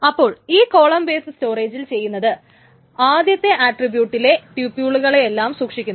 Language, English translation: Malayalam, So in column based storage, what is essentially done is that the first attribute of all the tuples are stored